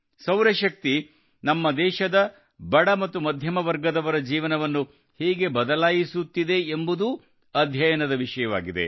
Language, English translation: Kannada, How solar energy is changing the lives of the poor and middle class of our country is also a subject of study